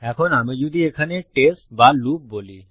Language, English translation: Bengali, Now if I say test or loop here